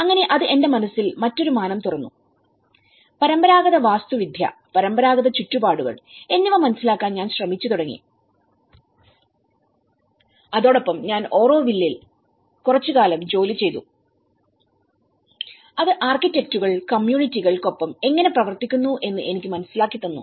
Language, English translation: Malayalam, So, it opened a different dimension in my mind and I started looking at understanding the traditional Architecture, traditional environments and with that, I worked in Auroville for some time and that has given me an eye opener for me to understand how the architects works with the communities